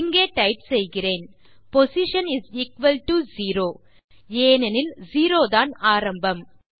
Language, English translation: Tamil, Im going to type up here postion = 0, since 0 is the beginning